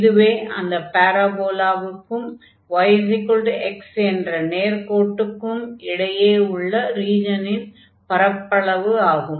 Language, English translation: Tamil, This is the area of the region bounded by this parabola and the straight line y is equal to x